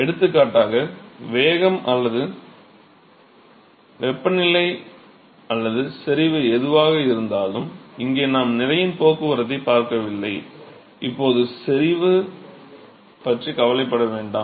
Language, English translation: Tamil, For example velocity or temperature or concentration whatever, here we are not looking at mass transport let us not worry about concentration for now